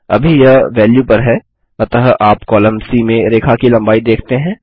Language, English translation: Hindi, Right now its at value so you see the length of the line in the column C